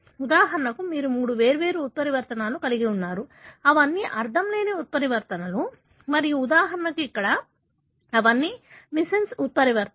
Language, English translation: Telugu, You have, for example three different mutations, all of them are nonsense mutations and for example here, all of them are missense mutations